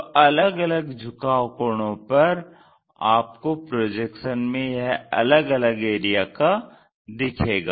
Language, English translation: Hindi, Based on my inclination angle when you have these projections you see it in different way